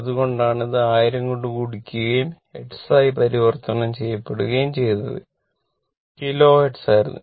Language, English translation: Malayalam, So, that is why this, this is multiplied by it is a converted to Hertz it was Kilo Hertz